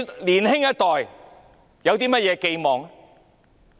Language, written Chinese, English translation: Cantonese, 年輕一代還有甚麼寄望？, What expectation can the younger generation have?